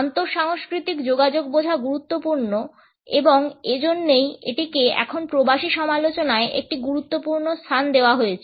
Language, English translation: Bengali, It is important to understand the inter cultural communication and that is why it is also given an important place now in the Diaspora criticism